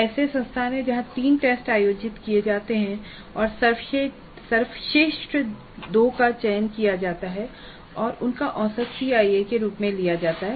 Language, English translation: Hindi, There are institutes where three tests are conducted and the best two are selected and their average is taken as the CIE